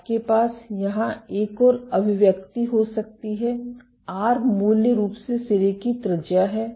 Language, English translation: Hindi, You can have another expression here; R is basically the radius of the tip